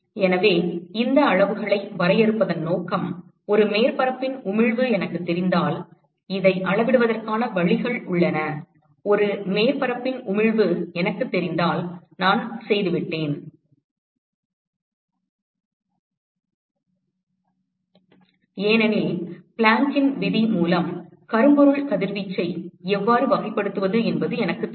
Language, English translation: Tamil, So, the purpose of defining these quantities is if I know the emissivity of a surface, there are ways to measure this so, if I know the emissivity of a surface I am done because I know how to characterize the blackbody radiation via the Planck’s law which is an exact equation